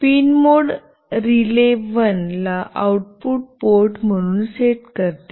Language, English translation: Marathi, pinMode sets RELAY1 as an output port